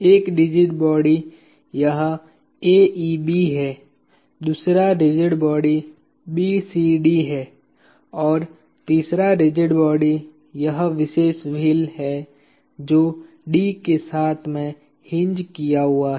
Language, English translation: Hindi, One rigid body is this AEB, the other rigid body is BCD and the third rigid body is this particular wheel which is hinged about D